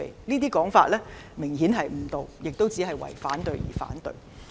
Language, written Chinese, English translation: Cantonese, 這種說法明顯誤導，是為反對而反對。, This statement is obviously misleading and these people are opposing for the sake of opposition